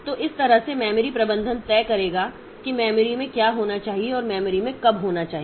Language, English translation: Hindi, So, that way the memory management will decide what is what should be there in the memory and when should it be in the memory